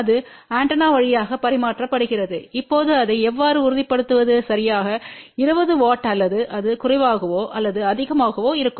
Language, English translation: Tamil, And that is transmitting through the antenna now how do we ensure that it is exactly 20 watt or it is less or more